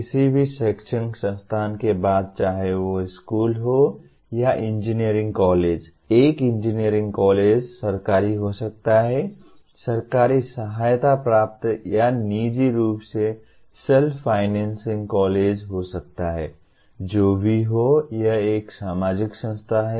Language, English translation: Hindi, The after all any academic institute whether it is a school or an engineering college; an engineering college may be government, government aided or privately self financing college, whichever way it is, it is a social institution